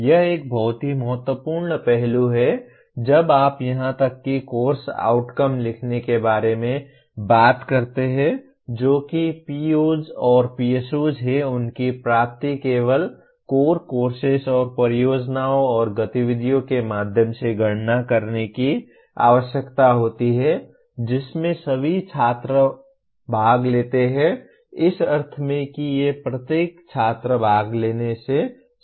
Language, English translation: Hindi, This is a very important aspect when you talk about even writing course outcomes that is POs and PSOs their attainment needs to be computed only through core courses and projects and activities in which all students participate in the sense these are related to what every student participates